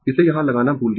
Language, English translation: Hindi, I forgot to put it here